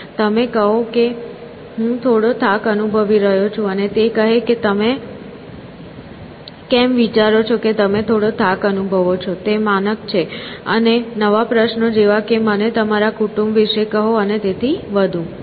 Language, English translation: Gujarati, So, something like I am feeling a bit tired, and it says why do you think you are feeling a bit tired, is standard; and, new questions like tell me about your family and so on